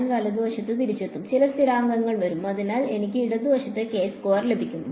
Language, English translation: Malayalam, I will get back cos right and some constants will come so I will get a k squared on the left hand side